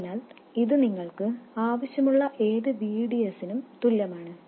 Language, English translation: Malayalam, So, this is equal to whatever VDS you need